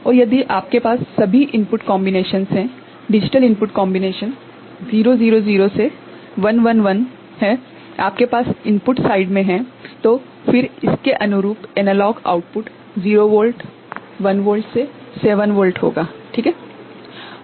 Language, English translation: Hindi, And if you have all the input combinations, digital input combination from 0 0 0 to 1 1 1 ok, you have at the input side, then the corresponding analog output will be 0 volt, 1 volt to 7 volt is not it